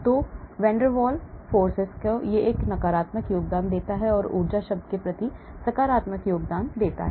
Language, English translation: Hindi, so this is the van der Waals, this contributes negatively, this contributes positively towards the energy term